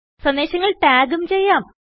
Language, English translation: Malayalam, You can also tag messages